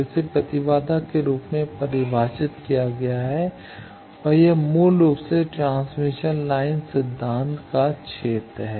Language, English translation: Hindi, So, defined as the impedance and this is basically the realm of transmission line theory